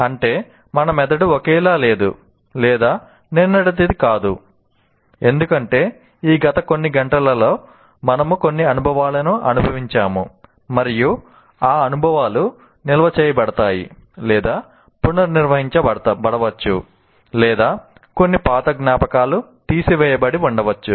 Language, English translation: Telugu, That means, our brain is not the same of what it was yesterday because from in this past few hours we would have gone through some experiences and those experiences would have been stored or reinterpreted thrown out or some old memories might have been thrown out